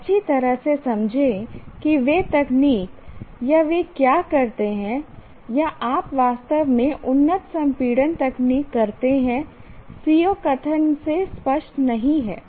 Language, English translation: Hindi, Merely understand what those techniques or what do they perform or you actually perform advanced compression techniques is not clear from the CBO statement